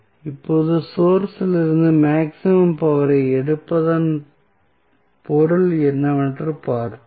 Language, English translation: Tamil, Now, let us see what is the meaning of drawing maximum power from the source